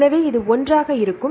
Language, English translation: Tamil, So, this will be one